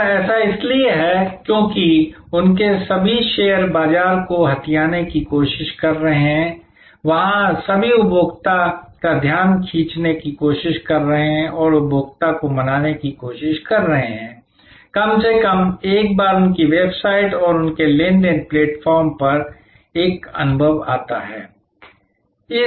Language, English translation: Hindi, And this because, their all trying to grab market share, there all trying to grab attention of the consumer and trying to persuade the consumer at least comes once an experience their website and their transactional platform